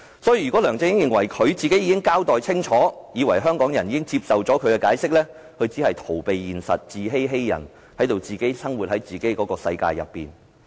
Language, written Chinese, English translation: Cantonese, 所以，如果梁振英認為他已經交代清楚，香港人亦已經接受他的解釋，他只是逃避現實、自欺欺人，活在自己的世界裏。, Therefore if LEUNG Chun - ying thought that he had given a clear account and that Hong Kong people had accepted his explanations he was just escaping from reality deceiving himself and others and living in his own world